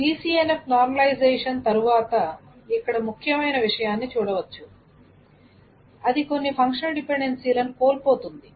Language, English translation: Telugu, So after the BCNF normalization is done, it is not always that one can preserve all the functional dependencies